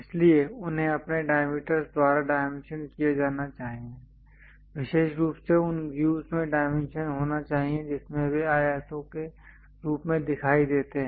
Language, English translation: Hindi, So, they should be dimension by their diameters, especially should be dimensioned in the views that they appear as rectangles